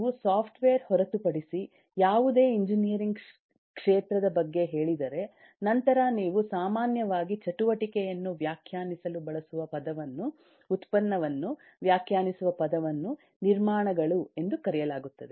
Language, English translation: Kannada, if you tell into any field of engineering other than software, you will typically find that the word used at the to define the activity, to define the product, is called constructions